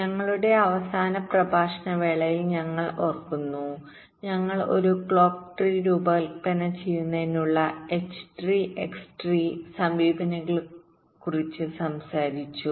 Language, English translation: Malayalam, we recall, during our last lecture we talked about the h tree and x tree approaches for designing a clock tree